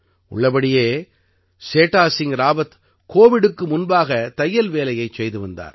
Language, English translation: Tamil, Actually, Setha Singh Rawat used to do tailoring work before Covid